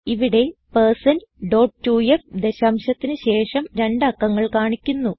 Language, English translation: Malayalam, Here#160% dot 2f provides the precision of two digits after the decimal point